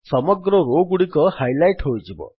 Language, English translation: Odia, The entire row gets highlighted